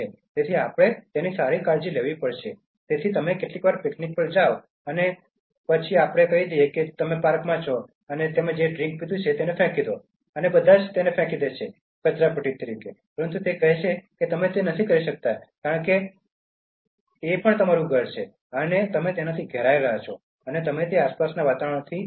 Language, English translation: Gujarati, So we have to take good care, so you sometimes go to a picnic and then let us say you are in a park and then you throw the drink that you had, the can that carried the drink, and then you throw that, throw all trash, but he says that you cannot do that because this is your home, and you are surrounded by that, and you are living amidst that surrounding, that environment